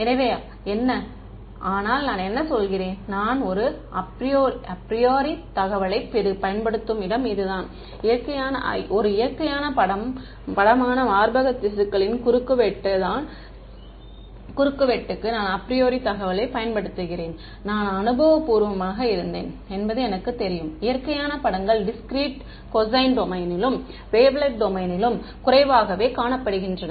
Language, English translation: Tamil, So, what, but I mean this is the place where I am using a priori information, I am using the apriori information that the cross section of breast tissue is a natural image; I know I am empirically it has been observed the natural images are sparse in wavelet domain in discrete cosine domain and so on